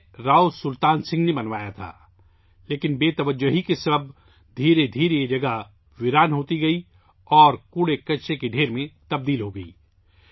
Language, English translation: Urdu, It was built by Rao Sultan Singh, but due to neglect, gradually this place has become deserted and has turned into a pile of garbage